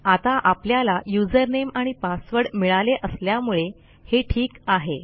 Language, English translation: Marathi, So because we have got username and password then thats fine